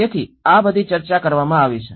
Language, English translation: Gujarati, So, this is all have been discussed